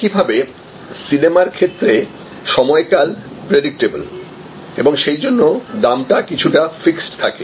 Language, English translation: Bengali, Similarly, in case of movies the duration is predictable and therefore, the price is usually fixed